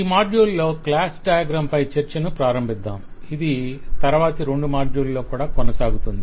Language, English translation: Telugu, We will, in this module, start the discussion on class diagrams and this will go over to the next two modules as well